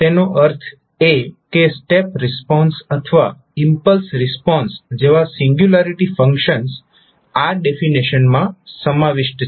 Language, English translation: Gujarati, That means that the singularity functions like step response or impulse response are incorporated in this particular definition